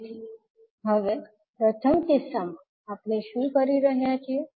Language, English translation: Gujarati, So now, in first case what we are doing